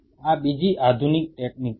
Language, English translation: Gujarati, This is another modern technique